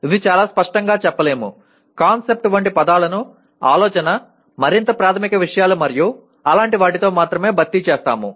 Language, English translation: Telugu, It could not be stated very clearly only replaced words like concept with idea, more fundamental things and so on like that